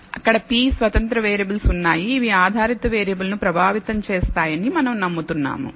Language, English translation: Telugu, There are p independent variables which we believe affect the dependent variable